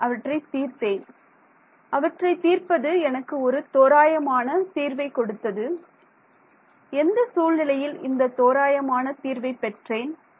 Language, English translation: Tamil, I solved them and solving them gave me an approximate solution and under what conditions did I get this approximate solution